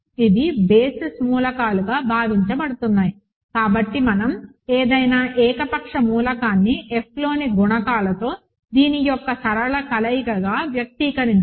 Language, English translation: Telugu, These are the; supposed basis elements, so we have expressed any arbitrary element as a linear combination of this with coefficients in F